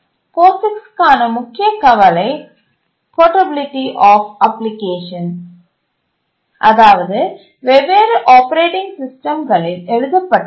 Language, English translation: Tamil, The major concern for POGICs is portability of applications written in different operating systems